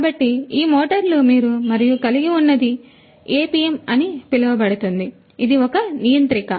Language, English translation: Telugu, So, these motors and then you have you know this one is something known as the APM, this is a controller